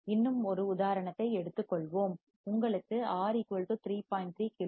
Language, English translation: Tamil, Let us take one more example; if you are given a circuit where R=3